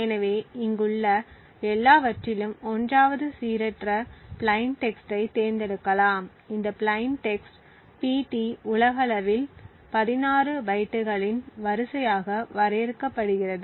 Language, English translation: Tamil, So, 1st of all over here we select some random plain text, this plain text pt is defined globally as an array of 16 bytes